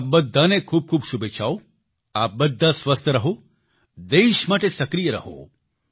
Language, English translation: Gujarati, May all of you stay healthy, stay active for the country